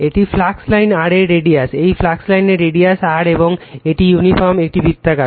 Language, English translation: Bengali, This is the radius of the flux line your r right, this is your radius of the flux line is r right and your this is uniform, it is a circular